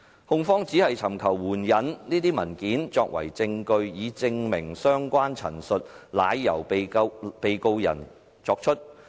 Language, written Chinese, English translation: Cantonese, 控方只尋求援引這些文件作為證據，以證明相關陳述是由被告人作出。, The prosecution merely seeks to quote these documents to prove that the Defendant made such statements